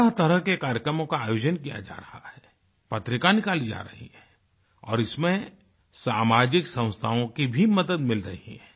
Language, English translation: Hindi, Different kinds of programs are being held, magazines are being published, and social institutions are also assisting in this effort